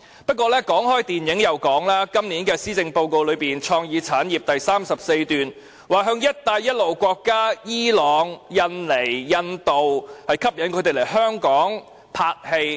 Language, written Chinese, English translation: Cantonese, 不過，談到電影，今年施政報告在有關創意產業的第34段提出，要吸引伊朗、印尼、印度等"一帶一路"沿線國家來港進行拍攝工作。, As far as the film industry is concerned it is proposed in paragraph 34 on creative industries of the Policy Address this year that efforts should be made to attract film producers of the Belt and Road countries such as Iran Indonesia India to come to Hong Kong for location filming